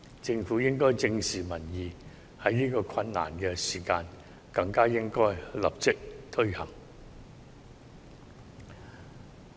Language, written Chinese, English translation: Cantonese, 政府應該正視民意，在這個困難的時間更應該立即推行。, The Government should face up to the public opinions and introduce this measure especially at this difficult time